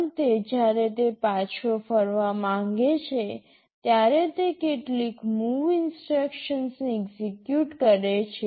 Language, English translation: Gujarati, At the end when it wants to return back, it executes some MOV instruction